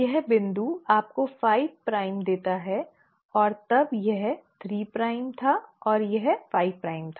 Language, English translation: Hindi, This strand has a 5 prime end here and a 3 prime end here